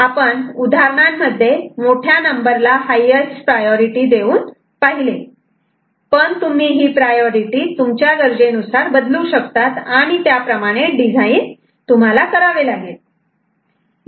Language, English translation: Marathi, So, we have seen the examples where higher number was given a higher priority, but you can change the priority as per your requirement and accordingly the design would be done